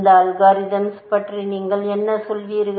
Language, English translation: Tamil, What do you have to say about this algorithm